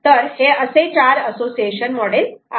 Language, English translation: Marathi, so there are four association models